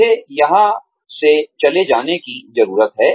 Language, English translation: Hindi, I need to get away, from here